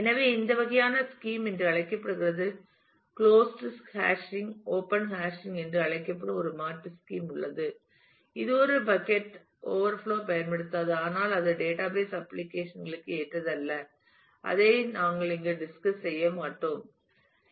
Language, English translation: Tamil, So, that this kind of a scheme is called closed hashing there is an alternate scheme called open hashing, which does not use a bucket overflow and, but it is not therefore, suitable for database applications and we will not discuss it here